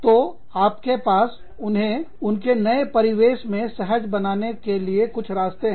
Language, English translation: Hindi, So, you have some way for them to, become very comfortable, in their new settings